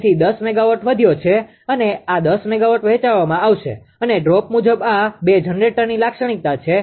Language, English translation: Gujarati, So, 10 megawatt has increased and this 10 megawatt will be shared and according to the droop characteristic of this two generator